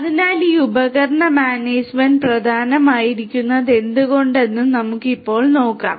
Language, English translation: Malayalam, So, let us now look at why this device management is important